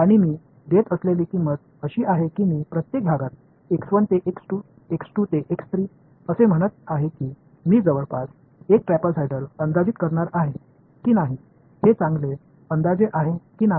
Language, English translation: Marathi, And, the price I am paying is that I am going to say in each segment x 1 to x 2, x 2 to x 3 I am going to approximate by a trapezoidal whether or not it is a good approximation or not